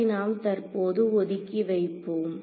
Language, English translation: Tamil, So, we will just put that aside for now